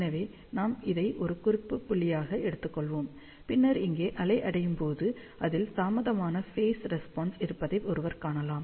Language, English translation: Tamil, So, let us take this as a reference point, then one can see that the wave reaching over here will have an dilate phase response